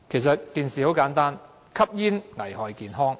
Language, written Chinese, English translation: Cantonese, 事情很簡單，就是吸煙危害健康。, The fact is straight forward Smoking is hazardous to health